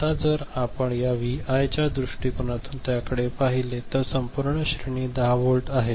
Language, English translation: Marathi, Now if you look at it from this Vi point of view right then the entire range is 10 volt right